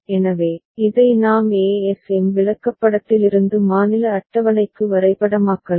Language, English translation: Tamil, So, this we can map from ASM chart to state table